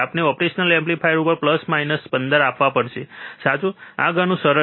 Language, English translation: Gujarati, We have to apply plus 15 minus 15 to operational amplifier, correct, this much is easy